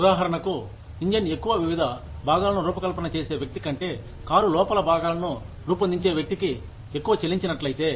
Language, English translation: Telugu, For example, if the person, who designs different parts of the engine, gets paid more, than the person, who designs the interiors of the car